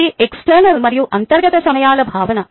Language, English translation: Telugu, that is the concept of external and internal times